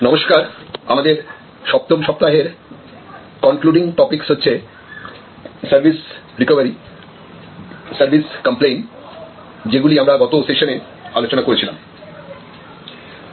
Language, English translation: Bengali, Hello, so our concluding topics for the 7th week will be from service recovery, service complaint and service recovery which we discussed in the last session